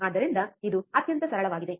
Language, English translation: Kannada, So, it is extremely simple